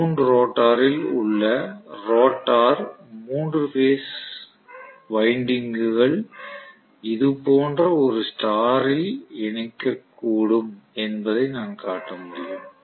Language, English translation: Tamil, The rotor ones in a wound rotor I can show the 3 phase windings may be connected in a star somewhat like this